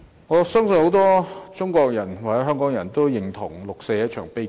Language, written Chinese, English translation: Cantonese, 我相信很多中國人和香港人也認同六四是一場悲劇。, I think many Chinese and Hong Kong people share the view that the 4 June incident is a tragedy